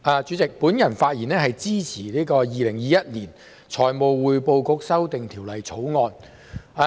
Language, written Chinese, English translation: Cantonese, 我發言支持《2021年財務匯報局條例草案》。, I speak in support of the Financial Reporting Council Amendment Bill 2021 the Bill